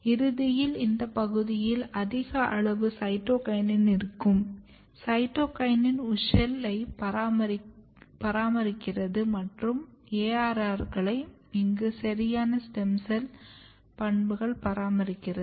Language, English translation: Tamil, So, eventually in this region we are having a verv high amount of cytokinin and the cytokinin is basically maintaining along with the wuschel and ARRs it is maintaining here a proper stem cell property